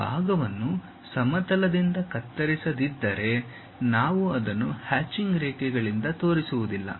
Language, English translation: Kannada, If that part is not cut by the plane, we will not show it by hatched lines